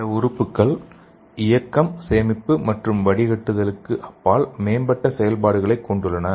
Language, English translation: Tamil, And some organs have advanced functions beyond movement and storage and filtration